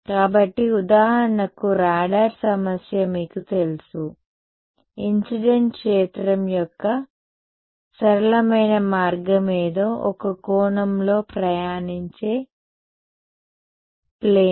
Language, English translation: Telugu, So, you know radar problem for example, the simplest way of incident field is a plane wave travelling at some angle